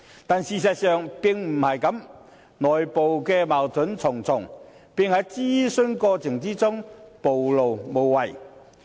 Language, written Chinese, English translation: Cantonese, 但是，事實上並非如此，內部矛盾重重，並在諮詢過程中暴露無遺。, But this is not the case in reality; there are many internal conflicts and these conflicts were exposed clearly during the consultation process